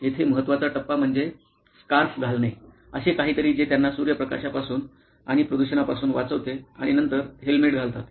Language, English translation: Marathi, The crucial stage here is to put on a scarf, something that protects them from sunlight and pollution and then wear a helmet